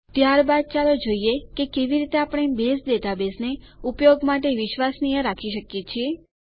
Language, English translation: Gujarati, Next, let us see how we can keep the Base database reliable for use